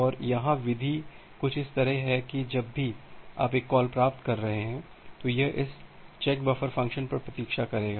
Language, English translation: Hindi, And here the method is something like that whenever you are making a receive call; it will wait on this CheckBuffer() function